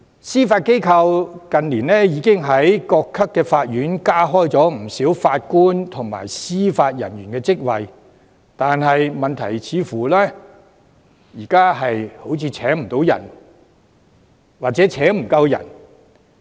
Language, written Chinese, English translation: Cantonese, 司法機構近年已經在各級法院加開了不少法官及司法人員的職位，但現時問題似乎是請不到人或請不夠人。, The Judiciary has added a number of Judges and Judicial Officer positions at various levels of court in recent years . However the present problem is that it is unable to fill the vacancies or recruit enough people